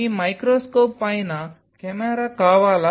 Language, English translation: Telugu, Do you want a camera on top of your microscope